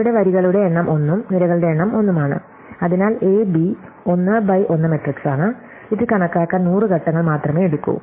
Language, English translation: Malayalam, So, the number of rows here is 1 and the number of columns is there 1, so A B is 1 by 1 matrix and it takes only 100 steps to compute